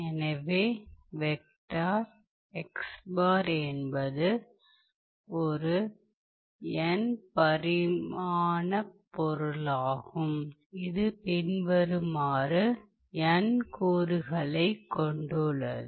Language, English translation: Tamil, So, vector xbar is an n dimensional object which contains n components